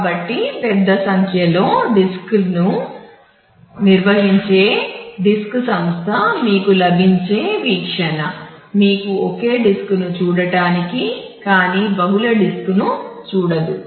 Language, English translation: Telugu, So, the disk organization that manage a large number of disk, but the view that you get you do not get to see the multiple disk you get to see a single disk